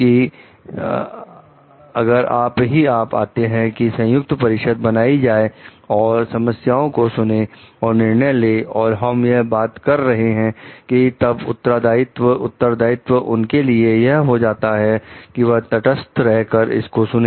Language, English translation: Hindi, And if you find like the joint committee is made to like listen to the problems take decisions, and we are talking of then like responsibility, then for them to be neutral and listen to it